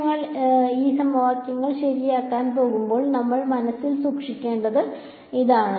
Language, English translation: Malayalam, So, this is the we should keep in mind as we go towards solving these equation ok